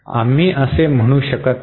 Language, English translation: Marathi, We can not say it like that